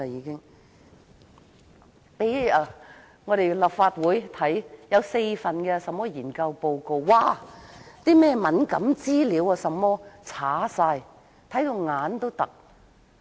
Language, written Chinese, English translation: Cantonese, 政府向立法會提供4份研究報告，卻把敏感資料全部刪除，令人憤怒。, It was outrageous that the Government had deleted all the sensitive information in the four study reports that it provided to the Legislative Council